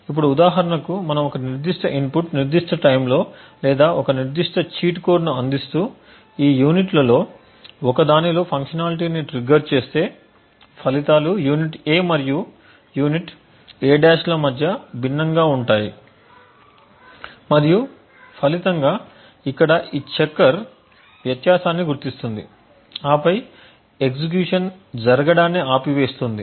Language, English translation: Telugu, Now if for example we provide a specific input specific time or a specific cheat code which triggers a functionality in one of this units then the results would be different between unit A and unit A’ and as a result this checker over here would identify the difference and then stop the execution form occurring